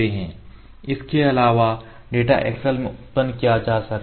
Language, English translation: Hindi, So, we can save the data in excel format ok